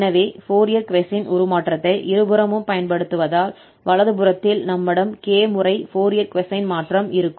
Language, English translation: Tamil, So applying this Fourier cosine transform on both the side, so right side we have k Fourier cosine transform